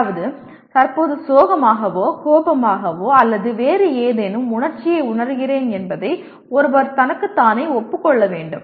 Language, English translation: Tamil, That means one has to acknowledge to himself or herself that I am presently feeling sad or angry or some other emotion